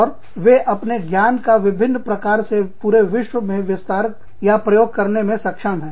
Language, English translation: Hindi, And, they are able to expand, or to apply the knowledge, in different ways, all over the world